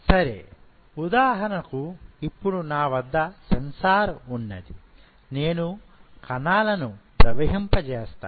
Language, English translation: Telugu, Now, I have a sensor say for example, I allow the cells to flow